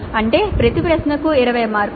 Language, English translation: Telugu, That means each question is for 20 marks